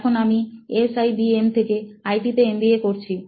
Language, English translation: Bengali, Now I am here pursuing MBA in IT in SIBM